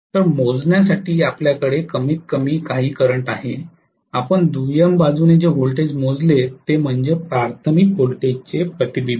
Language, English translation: Marathi, So you had at least some current to measure and the voltage what you measured on the secondary side is the reflection of the primary voltage